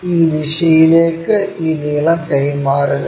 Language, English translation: Malayalam, Transfer this length in this direction